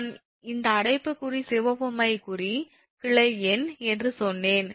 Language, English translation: Tamil, this bracket, the red ink with bracket, is actually branch number